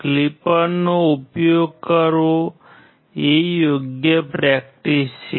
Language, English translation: Gujarati, Using a clipper is the right practice